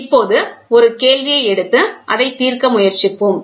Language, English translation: Tamil, Now, let us take a question and try to solve it